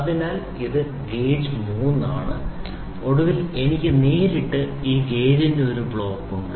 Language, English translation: Malayalam, So, this is gauge 3 and then finally, I have a directly a block of this gauge 4